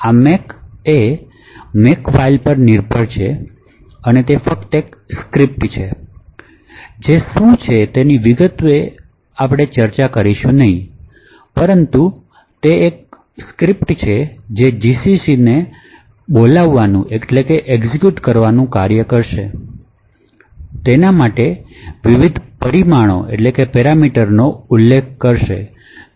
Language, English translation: Gujarati, So, this make depends on what is known as a Makefile and it is just a script we will not go into the details about what is present in a make file but it is just a script that would commit us to invoke gcc specify various parameters for gcc and finally obtain the corresponding executable